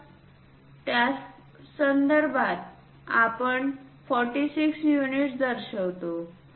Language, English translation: Marathi, So, with respect to that we show 46 units